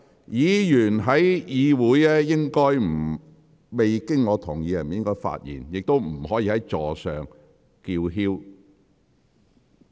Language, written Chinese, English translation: Cantonese, 議員在會議過程中未經我同意不應發言，也不可以在座位上叫喊。, Members should not speak without my consent during the meeting . Nor should they shout in their seats